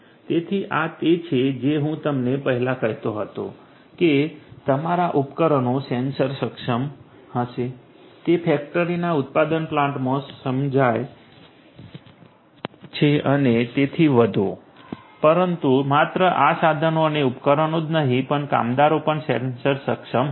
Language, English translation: Gujarati, So, this is what I was telling you earlier that your devices are going to be sensor enabled this is understood in a manufacturing plant in a factory and so on, but not only these tools and devices, but also the workers are going to be sensor enable